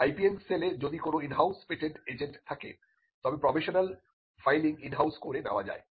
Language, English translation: Bengali, If the IPM cell has an in house patent agent, then the filing of the provisional can be done in house itself